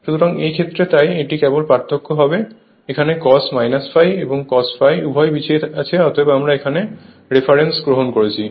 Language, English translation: Bengali, So, in this case, so, it will be difference only, it will be cos minus theta cos theta; both are lagging, I mean if you take the reference, this is my reference